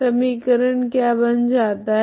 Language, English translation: Hindi, What is the equation becomes